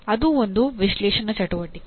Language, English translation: Kannada, That also is a analysis activity